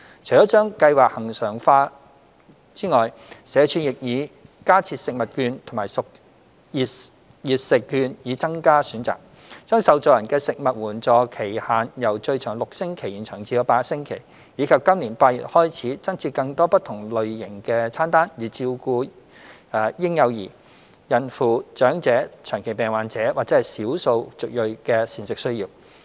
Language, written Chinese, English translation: Cantonese, 除了將計劃恆常化外，社署亦已加設食物券及熱食券以增加選擇；將受助人的食物援助期限由最長6星期延長至8星期；及在今年8月開始，增設更多不同類型的餐單，以照顧嬰幼兒、孕婦、長者、長期病患者及少數族裔的膳食需要。, Apart from the service regularization SWD also added food coupons and hot meal coupons as additional options; extended the service period for beneficiaries from a maximum of six weeks to eight weeks; and from August 2021 onwards provides additional special menus to meet the dietary needs of infants and young children pregnant women the elderly the chronically ill and ethnic minorities